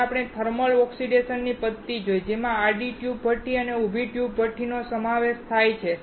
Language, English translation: Gujarati, We then saw thermal oxidation methods, which included horizontal tube furnace and vertical tube furnace